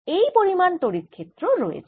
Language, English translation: Bengali, that is the how much the electric field is